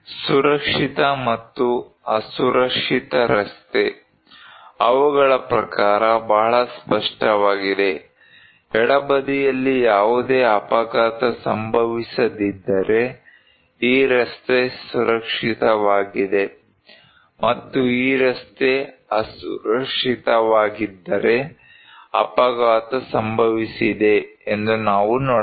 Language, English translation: Kannada, Safe and unsafe road; according to them is very clear like, if there is no accident left hand side then this road is safe, and if this road is unsafe, because we can see that there is an accident okay